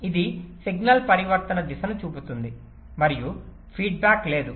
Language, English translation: Telugu, it shows the direction of signal transition and there is no feedback